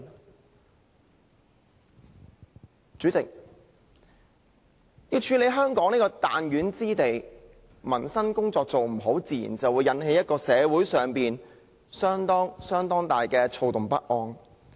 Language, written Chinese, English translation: Cantonese, 代理主席，要管治香港這個彈丸之地，民生工作做得不好，自然會引起社會相當大的躁動不安。, Deputy President concerning the governance of this small place of Hong Kong a failure to properly take care of the peoples livelihood will naturally give rise to extensive turbulence and confrontations in society